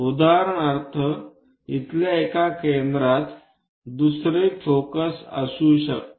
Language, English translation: Marathi, For example, one of the foci here the second foci might be there